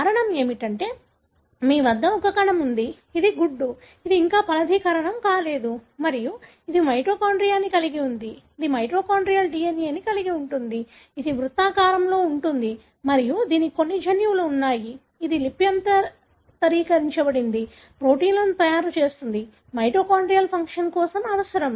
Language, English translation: Telugu, The reason being, you have a cell, which is the egg, which is yet to be fertilized and it carries the mitochondria, which carries the mitochondrial DNA, which is circular and it has got certain genes, which are transcribed, makes proteins, which are required for mitochondrial function